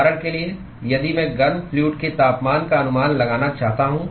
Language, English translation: Hindi, For example, if I want to estimate the temperature of the hot fluid